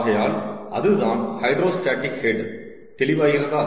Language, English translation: Tamil, so thats the hydrostatic head, clear